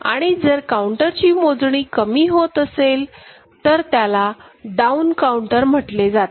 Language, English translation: Marathi, And if it is decreasing, the other way it happens it is called down counter ok